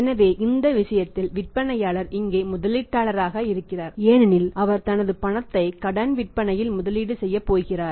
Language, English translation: Tamil, So, in this case seller is investor here because he is going to invest his money in the credit sales